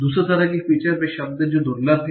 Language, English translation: Hindi, Second sort of features are those words that are rare